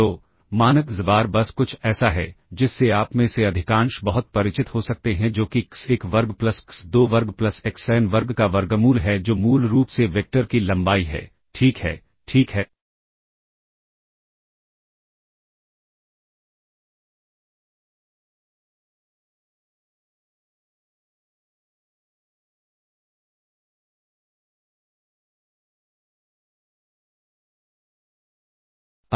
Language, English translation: Hindi, So, norm xbar is simply something that you are very must be most of you might be very familiar with that is square root of x1 square plus x2 square plus xn square which is basically the length of the vector, ok, all right